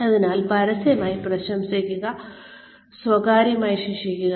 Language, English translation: Malayalam, So, praise in public, and punish in private